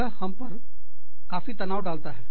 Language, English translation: Hindi, It can put a lot of stress, on us